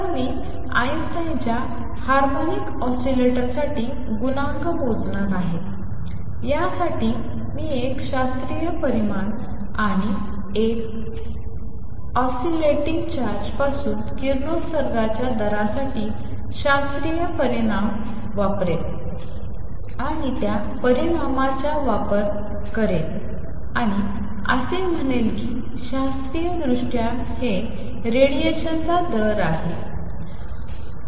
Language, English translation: Marathi, So, I am going to calculate Einstein’s A coefficient for harmonic oscillator, for this I will use a classical result and the classical result for rate of radiation from an oscillating charge and use that result and that says classically it is rate of radiation form a charge